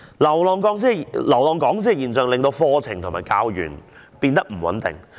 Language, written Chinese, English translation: Cantonese, 流浪講師的現象增加課程和教員的不穩定性。, The phenomenon of drifting lecturers has aggravated the uncertainty in curriculums and teaching staff